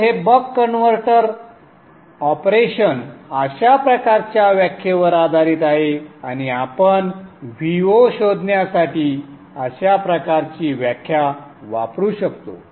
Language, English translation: Marathi, So this buck converter operation is based on this kind of a definition and we can use this kind of a definition to find the V0